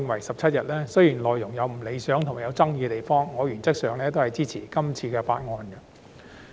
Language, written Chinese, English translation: Cantonese, 雖然內容有不理想和具爭議之處，但我原則上是支持的。, While the Bill contains some elements that are undesirable and controversial I support it in principle